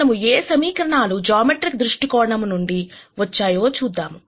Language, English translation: Telugu, So, let us look at what equations mean from a geometric viewpoint